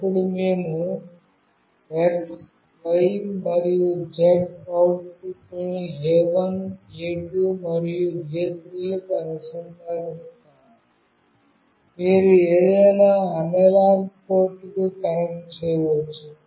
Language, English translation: Telugu, Then we will be connecting X, Y and Z outputs to A1, A2, and A3, you can connect to any analog port